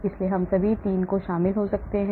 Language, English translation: Hindi, so we can have all the 3 may be involved